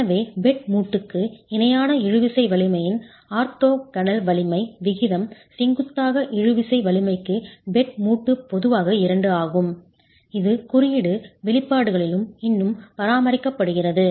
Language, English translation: Tamil, So we were talking of the orthogonal strength ratio of the tensile strength parallel to the bed joint to the tensile strength perpendicular of the bed joint typically being two that is still maintained in the code expressions as well